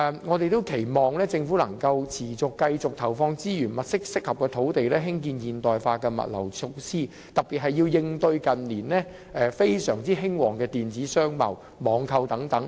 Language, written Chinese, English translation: Cantonese, 我們期望政府能夠持續投放資源，物色適合的土地興建現代化的物流設施，特別是要應對近年非常興旺的電子商貿和網購等。, We hope that the Government can continuously inject resources and identify suitable sites for developing modernized logistics facilities particularly to tie in with e - commerce and online shopping which have become very popular in recent years